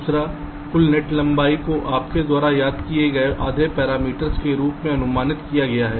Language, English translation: Hindi, secondly, the total net length is estimated as the half parameter